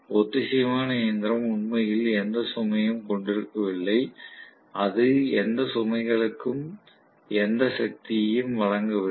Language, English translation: Tamil, So the synchronous machine is literally on no load, it is not supplying any power to any of the loads, that is what it means right